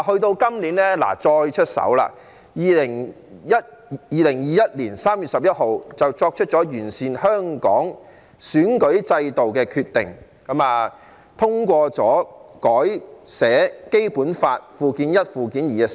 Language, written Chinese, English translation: Cantonese, 到今年再次出手 ，2021 年3月11日作出了完善香港選舉制度的決定，通過了新修訂的《基本法》附件一及附件二。, This year the Central Authorities stepped in again and made a decision to improve the electoral system of Hong Kong on 11 March 2021 by passing the newly amended Annexes I and II to the Basic Law